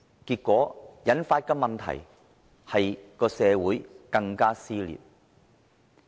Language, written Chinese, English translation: Cantonese, 結果引發社會更撕裂的問題。, As a result he instigated more social split